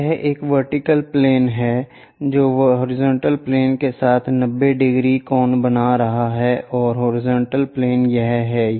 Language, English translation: Hindi, So, this is vertical plane which is making 90 degrees with the horizontal plane and horizontal plane is this